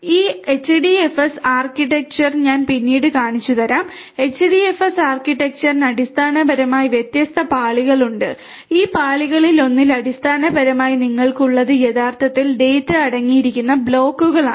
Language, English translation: Malayalam, This HDFS architecture as I will show you later on, HDFS architecture basically has different layers and in one of these layers basically what you have are something known as the blocks which actually contains the data